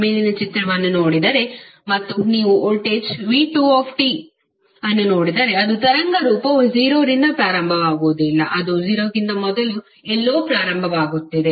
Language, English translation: Kannada, If you see this particular figure and you see the voltage V2T, so its waveform is not starting from zero, it is starting from somewhere before zero